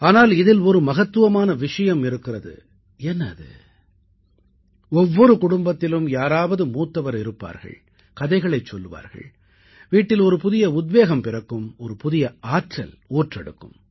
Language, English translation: Tamil, Well, there was a time when in every family, invariably, there used to be an elderly member, a senior person who would tell stories, infusing a new inspiration, a new energy in the household